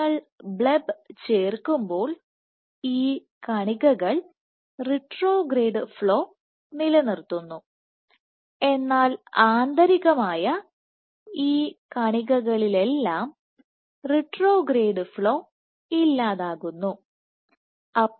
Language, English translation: Malayalam, When you add bleb these particles retain the retrograde flow, but internally all these particles retrograde flow is eliminated